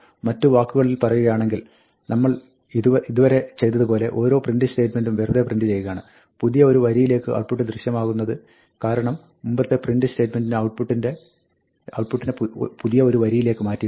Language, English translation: Malayalam, In other words, every print statement, we just print the way we have done so far, appears on a new line because the previous print statement implicitly moves the output to a new line